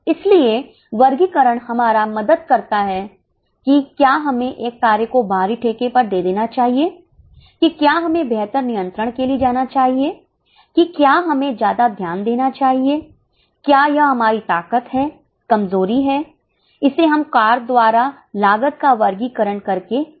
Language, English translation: Hindi, So, the classification helps us in whether we should outsource a function, whether we should go for better control, whether we should give more focus, is it our strength, weakness, we come to know from cost classification by function